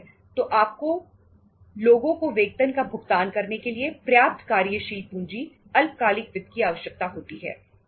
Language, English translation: Hindi, So you need to have sufficient working capital short term finance to make the payment of wages as well as salaries to the people